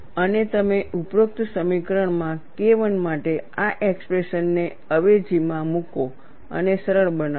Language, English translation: Gujarati, And you substitute this expression for K 1 in the above equation, and simplify